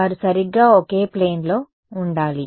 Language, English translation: Telugu, They should be in the same plane right